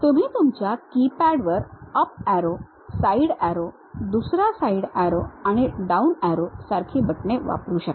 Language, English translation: Marathi, You use on your keypad there are buttons like up arrow, side arrow, another side arrow, and down arrow